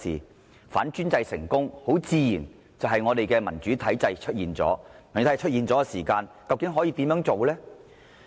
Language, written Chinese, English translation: Cantonese, 當反專制成功後，民主體制自然會出現，屆時會如何呢？, When the anti - authoritarian movement succeeds a democratic system will naturally emerge . What will happen then?